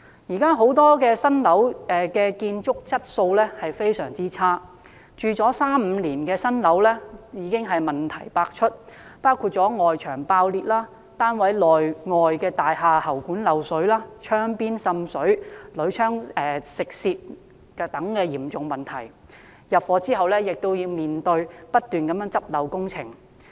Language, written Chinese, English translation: Cantonese, 因為現時不少新樓的建築質素非常差劣，住了三五年的新樓已經問題百出，包括外牆爆裂、單位內外喉管漏水、窗邊滲水、鋁窗鏽蝕等嚴重問題，剛入伙亦要面對不絕的補漏工程。, The construction quality of many new buildings has been very poor with many problems appearing after being occupied for three to five years ranging from cracked external walls leaking pipes inside and outside of flats leakage around windows opening and rusty aluminium - framed windows . Newly occupied flats also require numerous remedial works